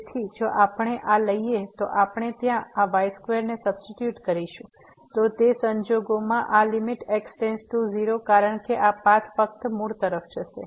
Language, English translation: Gujarati, So, if we take this we substitute this square there, then in that case this limit goes to 0 because this path will take to the origin only